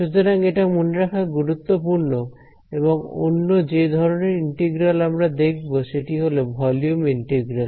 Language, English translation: Bengali, So, that is important to remember and finally the other kind of integral that we come across as a volume integral